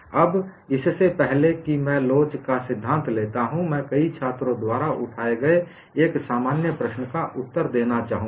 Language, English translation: Hindi, Now, before I take up theory of elasticity, I would like to answer a common question raised by many students